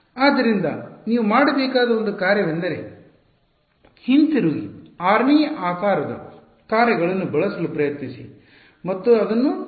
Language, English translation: Kannada, So, one exercise which you should do is go back and try to use the 6th shape functions and derive this